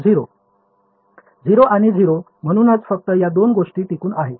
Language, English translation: Marathi, 0 and 0 right so only these two term survive